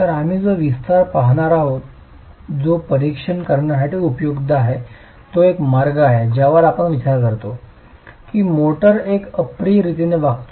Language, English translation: Marathi, So, the extension that we will look at which is useful to examine is one way we consider that the motor behaves in an inelastic manner